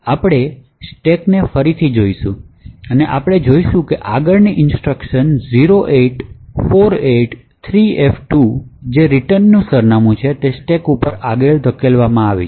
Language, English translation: Gujarati, So we would look at the stack again and we will see that the next instruction 08483f2 which is the return address is pushed on to the stack